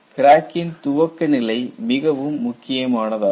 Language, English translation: Tamil, Crack initiation is a very important phase